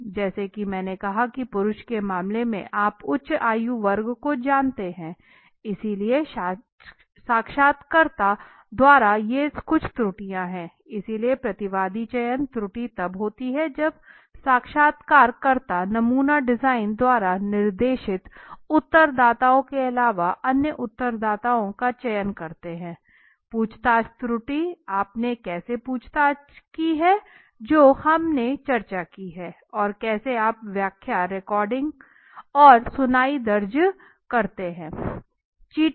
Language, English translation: Hindi, As I said the case off male you know the age group higher age group so these are the some of the errors right so by interviewer so respondent selection error occurs when interviewers select respondents other than those specified by the sampling design right questioning error how you have questioned which we also discussed how you have recorded hearing interpreting and recording